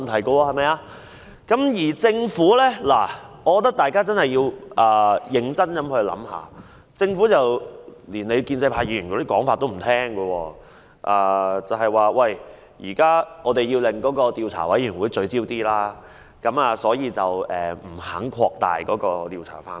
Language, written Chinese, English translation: Cantonese, 我認為大家確實要認真想一想，因為政府現時連建制派議員的建議也不接受，只是指出應讓調查委員會的工作更加聚焦，不願擴大調查範圍。, I think Members should think over this seriously for now the Government even refuses proposals of Members from the pro - establishment camp . It refuses to expand the scope of investigation and merely points out that the Commission should be allowed to be more focused in its work